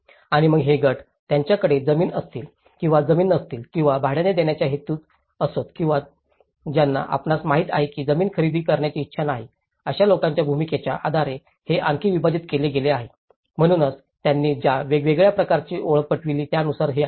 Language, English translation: Marathi, And then these groups has been further subdivided based on, land tenure whether they have land or without land or intend to rent or those without who intend to buy land you know, so, this is how the different categories they have identified